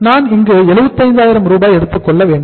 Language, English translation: Tamil, We have to take here the 75,000